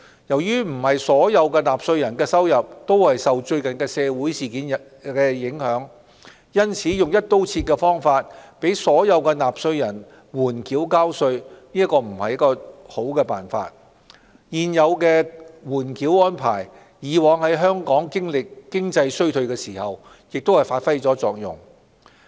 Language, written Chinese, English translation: Cantonese, 由於不是所有納稅人的收入都受最近的社會事件影響，用"一刀切"的方法讓所有納稅人緩繳交稅並非良策，而現有的緩繳安排以往在香港經歷經濟衰退時亦曾發揮作用。, Given that the recent social events have not affected the income of every taxpayer a holdover of payment of tax across the board is not the best option . Moreover the current holdover arrangement has already worked satisfactorily during previous economic downturns in Hong Kong